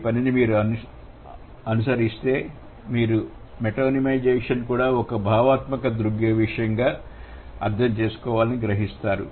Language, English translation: Telugu, If you follow this work, you would realize that metonymization should also be understood as a conceptual phenomenon